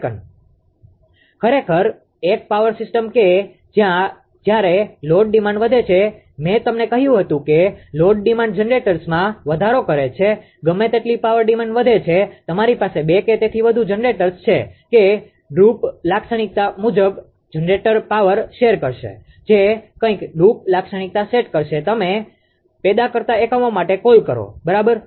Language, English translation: Gujarati, Actually, actually a power system that when load demand is increases I told you load demand increases the generators whatever power driven increases you have two or more generators that according to the droop characteristic that generator will share the power, whatever droop characteristic ah set for the ah what you call for the generating units, right